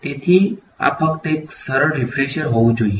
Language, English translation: Gujarati, So, this should just be a easy refresher